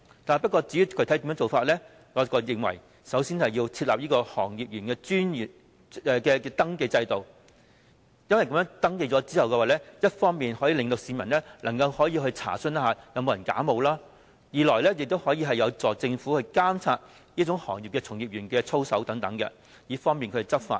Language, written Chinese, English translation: Cantonese, 至於具體的做法，我認為首先要設立行業從業員登記制度，因為在登記後，一來能讓市民查詢是否有人假冒，二來亦有助政府監察行業從業員的操守，以便執法。, As for what specific measures should be adopted I think as a first step it is necessary to establish a registration system for practitioners in the industry because their registration will firstly enable the public to identify any imposter and secondly help the Government monitor the conduct of the practitioners in the industry and facilitate law enforcement